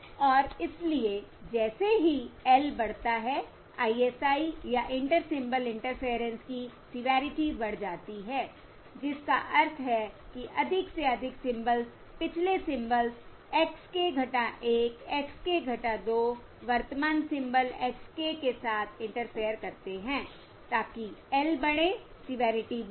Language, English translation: Hindi, And therefore, as L increases, the severity of ISI or Inter Symbol Interference increases, which means more and more symbols um, previous symbols, x k minus 1, X k minus 2, interfere with the current symbol x k